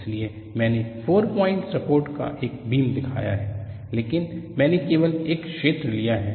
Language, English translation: Hindi, That is why I have shown a beam with 4 point supports, butI have taken only a region